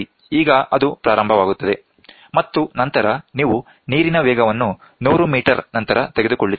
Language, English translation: Kannada, Now it starts, and then you take for after 100 meter the velocity of the water